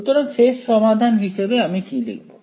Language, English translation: Bengali, So, what will I write the final solution